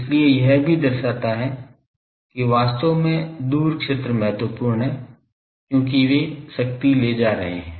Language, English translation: Hindi, So, it also shows that actually far fields are important, because they are carrying power